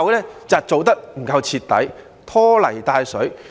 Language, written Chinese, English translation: Cantonese, 是因為做得不夠徹底，拖泥帶水。, Because he has failed to do the work in a thorough and decisive manner